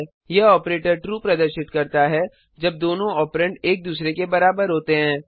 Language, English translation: Hindi, This operator returns true when both operands are equal to one another